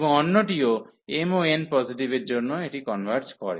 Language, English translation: Bengali, And the other one also for m n positive, it converges